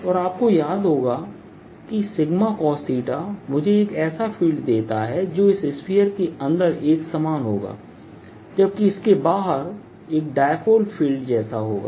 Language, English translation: Hindi, and you recall that sigma cosine theta gives me a field which is uniform field inside this sphere and outside it'll be like a dipole field